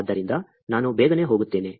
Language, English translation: Kannada, So, I will just quickly go over